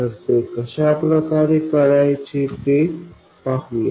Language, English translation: Marathi, So we will see how to do that